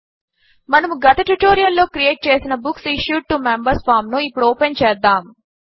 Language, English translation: Telugu, Let us open Books Issued to Members form that we created in the last tutorial